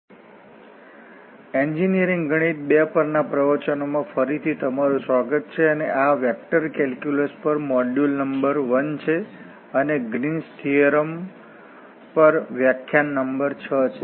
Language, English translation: Gujarati, So, welcome back to lectures on Engineering mathematics II and this is module number 1 vector calculus and the lecture number 6 on Green’s theorem